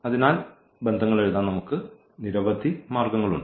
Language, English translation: Malayalam, So, there we can have now many ways to write down these relations